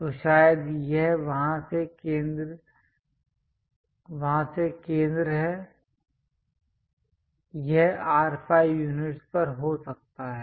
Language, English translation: Hindi, So, perhaps this is the center from there it might be at R5 units